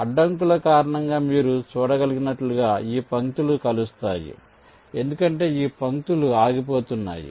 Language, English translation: Telugu, now, as you can see, because of the obstacles, this lines are not intersecting, because this lines are getting stopped